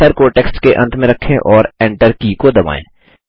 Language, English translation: Hindi, Place the cursor at the end of the text and press the Enter key